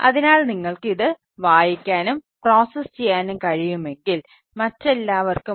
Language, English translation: Malayalam, so if you can read and process it